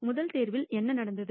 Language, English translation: Tamil, What has happened in the first pick